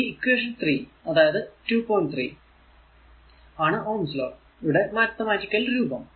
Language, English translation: Malayalam, 3 is a mathematical forms of form of Ohm’s law